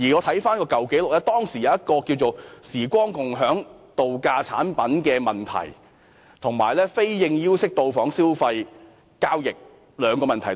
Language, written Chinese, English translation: Cantonese, 我翻查舊紀錄，知悉當時發生兩個嚴重問題，涉及"時光共享"度假產品，及以非應邀方式訂立的消費交易。, After looking up the record I learnt that two serious problems occurred back then involving timesharing vacation products and consumer transactions concluded during unsolicited visits